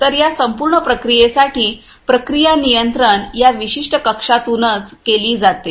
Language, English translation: Marathi, So, for this entire process the process control is done from this particular room right